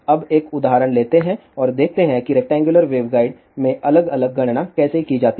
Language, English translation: Hindi, Now, let us take an example and see how different calculations are done in rectangular waveguide